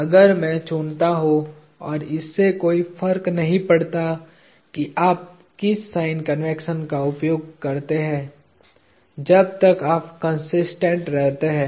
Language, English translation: Hindi, If I choose, and it does not matter what sign convention you use as long as you remain consistent